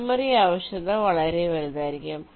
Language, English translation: Malayalam, ok, memory requirement will be huge